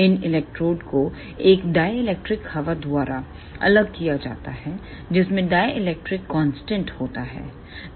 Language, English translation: Hindi, These electrodes are separated by a dielectric air which has dielectric constant one